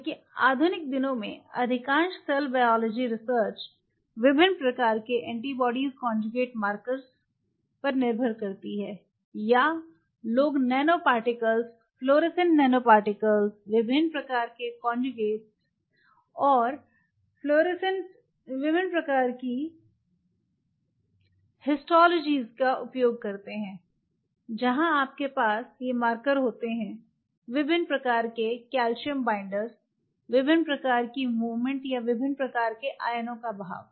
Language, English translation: Hindi, Because most of the modern days will biology depends heavily on different kind of antibody conjugated markers or people use nano particles flowers and nanoparticles, different kind of conjugations, different kind of astrology, where you have these markers different kind of calcium binders, different kind of movement or the drift of different kind of ions